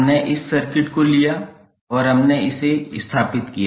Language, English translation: Hindi, We took this circuit and we stabilized that